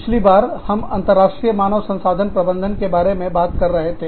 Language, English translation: Hindi, We were talking about, International Human Resources Management, last time